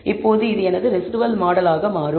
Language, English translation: Tamil, Now this becomes my reduced model